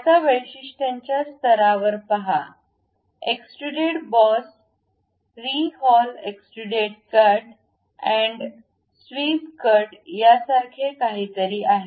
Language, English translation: Marathi, Now, see at the features level there is something like extruded boss revolve base extruded cut and swept cut